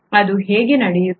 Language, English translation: Kannada, How is that happening